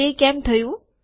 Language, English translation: Gujarati, Why does it happen